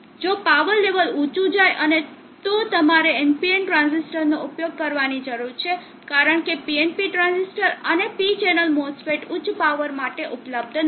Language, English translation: Gujarati, If the power levels go high and you need to use NPN transistors, because the PNP transistor and P channel mass fits or not available for higher powers